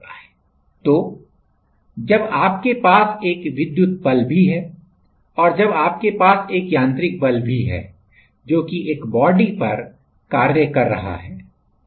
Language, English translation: Hindi, So, while you have an electrical force also and while you have a mechanical force also acting on a body